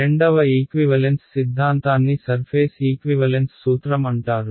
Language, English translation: Telugu, The second equivalence theorem is called the surface equivalence principle ok